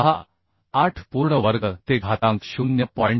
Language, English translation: Marathi, 3968 square whole to the power 0